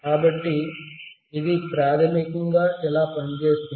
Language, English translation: Telugu, So, this is how it basically works